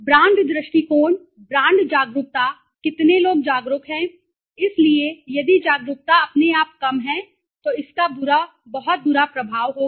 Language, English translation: Hindi, Brand attitudes, brand awareness right how much of people are aware right so if the awareness is very low automatically it would have a very poor effect very bad effect that means right